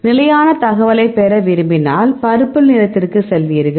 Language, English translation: Tamil, So, if you want to get the complete information you will go to the purple right